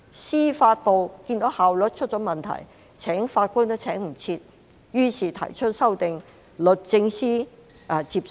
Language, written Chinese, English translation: Cantonese, 司法機構看到效率出現問題，來不及聘請法官，於是提出修訂，律政司接受。, When the Judiciary found its efficiency problem and was unable to recruit new judges on a timely manner it initiated the amendments and the Department of Justice accepted them